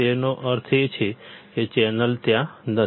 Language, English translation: Gujarati, That means, channel is not there